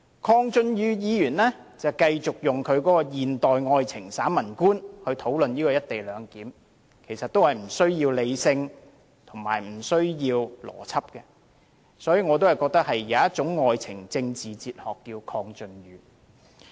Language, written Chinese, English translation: Cantonese, 鄺俊宇議員繼續用他的現代愛情散文觀討論"一地兩檢"，其實也是不需要理性和邏輯的，所以我認為有一種愛情政治哲學叫"鄺俊宇"。, Mr KWONG Chun - yu again discussed the co - location arrangement as if he was writing a familiar essay about love in this modern age . We thus cannot expect to hear any sound reasoning and logic from him really . So I can only say that there is a philosophy of love and politics called KWONG Chun - yu